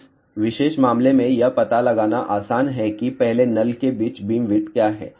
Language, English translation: Hindi, In this particular case, it is easy to find out what is the beamwidth between the first nul